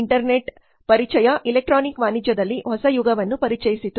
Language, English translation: Kannada, Introduction of internet introduced a new era in the electronic commerce